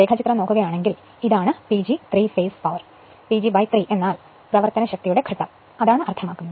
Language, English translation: Malayalam, If you look into the diagram this is the P G 3 phase power; P G by 3 means power phase